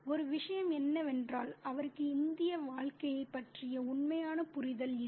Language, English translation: Tamil, One thing is that he has no real understanding of the Indian life